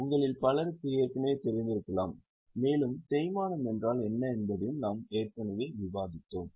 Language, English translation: Tamil, Many of you might already know and we have also discussed what is depreciation earlier